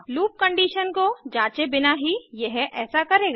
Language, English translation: Hindi, It will do so without checking the loop condition